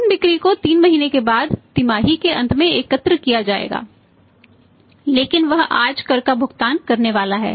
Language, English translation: Hindi, Those sales will be collected at the end of the quarter means after 3 months but he is supposed to pay the tax today